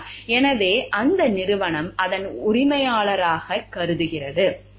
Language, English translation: Tamil, So, that company considers its proprietary